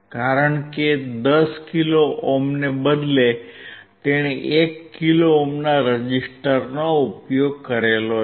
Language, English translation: Gujarati, Because instead of 10 kilo ohm, he used a resistor of one kilo ohm